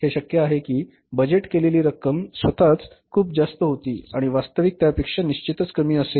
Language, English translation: Marathi, It may be possible that the budgeted amount was itself very high and actually had to be certainly lesser than that